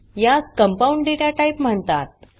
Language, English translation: Marathi, It is called as compound data type